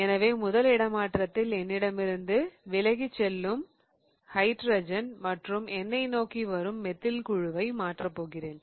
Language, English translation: Tamil, So, in the first swap I am going to swap such that hydrogen goes away from me and methyl comes towards me